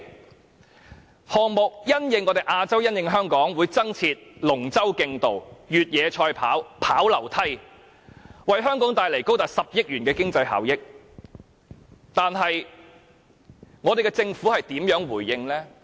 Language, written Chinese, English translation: Cantonese, 運動項目因應亞洲，因應香港會增設龍舟競渡、越野賽跑和跑樓梯，為香港帶來高達10億元的經濟效益，但香港政府如何回應？, Therefore it will create various business opportunities for Hong Kong . As the Gay Games is to be held in Asia new games such as a dragon boat race a cross - country race and a staircase race will be added . All this will bring economic benefits worth 1 billion to Hong Kong